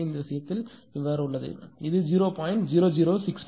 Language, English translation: Tamil, So, here it is 0